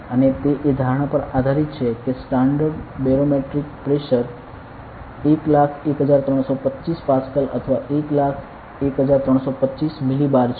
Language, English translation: Gujarati, And based on the assumption that standard barometric pressure is 101325 millibar over 101325 Pascal